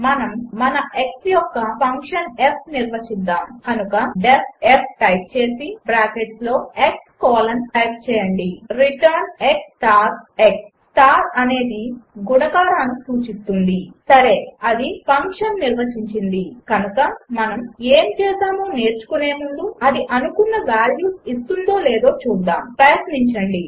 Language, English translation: Telugu, Let us define our function f of x So type def f within bracket x colon return x star x Star denotes multiplication Well that defined the function, so before learning what we did let us see if it returns the expected values, try, f f Yes, it returned 1 and 4 respectively